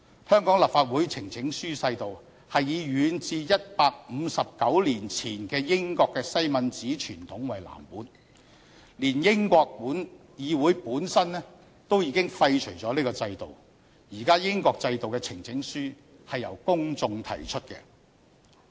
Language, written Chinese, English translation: Cantonese, 香港立法會呈請書制度是以遠至159年前的英國西敏寺傳統為藍本，但連英國議會本身都已經廢除了這個制度，現時英國制度的呈請書是由公眾提出的。, The petition system of the Hong Kong Legislative Council follows the Westminster tradition in the United Kingdom dated back to 159 years ago . Yet even the Parliament of the United Kingdom has repealed this system and petitions are now submitted by their members of the public